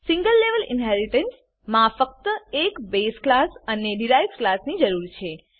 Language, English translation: Gujarati, In single level inheritance only one base class and one derived class is needed